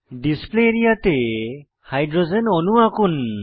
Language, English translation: Bengali, Let us draw Hydrogen molecule on the Display area